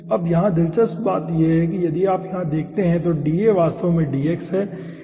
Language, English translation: Hindi, interestingly, if you see aah here, da is actually dx